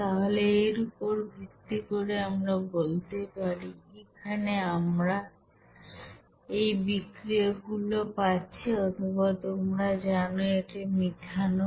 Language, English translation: Bengali, So based on these we can say that since here we are getting these reactant or like you know that methanol